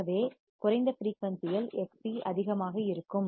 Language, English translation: Tamil, So, at low frequency is where Xc would be high